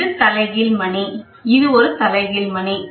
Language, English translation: Tamil, And this is the inverted bell, this is an inverted bell